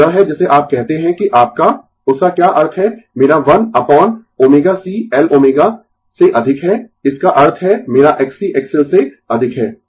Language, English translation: Hindi, So, it is what you call that your what that means, my 1 upon omega c greater than L omega that means, my X C greater than X L right